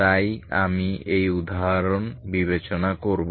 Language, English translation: Bengali, So will consider this example